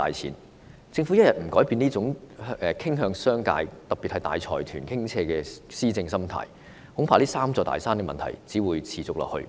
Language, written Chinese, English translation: Cantonese, 如果政府不改變傾向商界，特別是向大財團傾斜的施政心態，恐怕這"三座大山"的問題只會持續下去。, If the Government does not change its position of skewing in favour of the business sector especially the mindset of slanting towards large consortiums in administration I am afraid the problems posed by these three big mountains will only be maintained